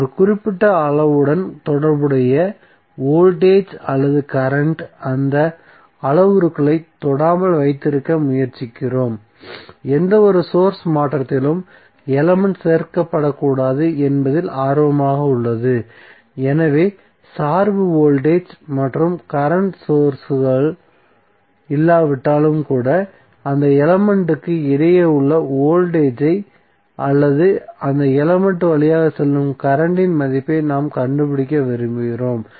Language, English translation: Tamil, So, we try to keep those parameters untouched the voltage or current associated with the particular element is of interest that element should not be included in any source transformation so, suppose even if there is no dependent voltage or current source but, we want to find out the voltage across a element or current through that element, we will not use that element for any source transformation